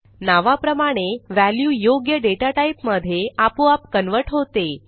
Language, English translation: Marathi, As the name goes, the value is automatically converted to suit the data type